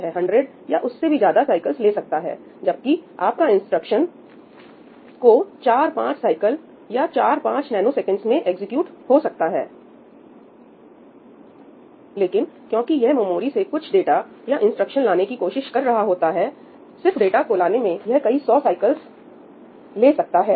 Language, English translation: Hindi, It can take hundreds of cycles, even though your instruction can execute in about 4 5 cycles, in 4 5 nanoseconds, but just because it is trying to get something from the memory, just to get that data, it can take hundreds of cycles